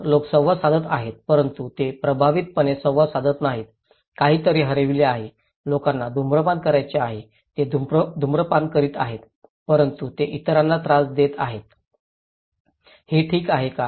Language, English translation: Marathi, So, people are interacting but they are not effectively interacting, there is something missing, people want to smoke, they are smoking but they are bothering others, is it okay